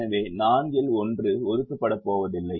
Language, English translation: Tamil, so one out of the four is not going to be assigned